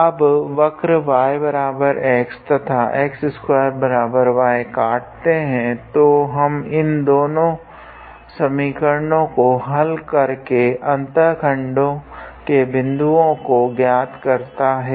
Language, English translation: Hindi, Now, the curves y is equals to x and x square equals to y intersect at; so, we can solve these two equations to obtain the point of intersection